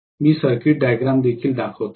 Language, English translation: Marathi, Let me show the circuit diagram also